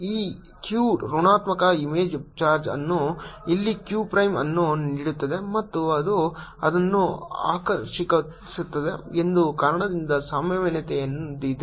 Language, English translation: Kannada, the potential is there because this q gives a negative image, charge here q prime, and that attracts it